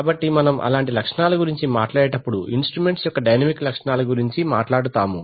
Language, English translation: Telugu, so when we talk about such characteristics we talk about the dynamic characteristics of instruments